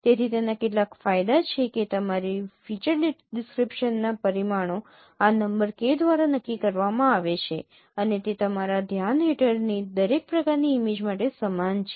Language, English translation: Gujarati, So it has certain advantages that the dimension of your feature description is determined by this number K and it remains the same for every kind of image under your consideration